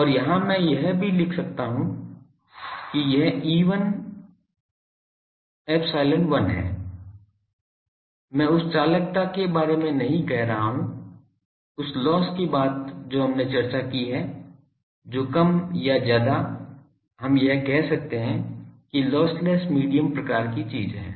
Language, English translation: Hindi, And here also I write that this is e1 epsilon 1, I am not saying about the conductivity that loss thing we have discussed that more or less that is we can say that lossless medium type of thing